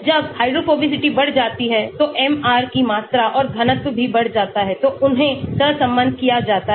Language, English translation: Hindi, when the hydrophobicity increases MR also the volume and density also, so they are correlated